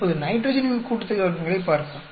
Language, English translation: Tamil, Now let us look at the nitrogen sum of squares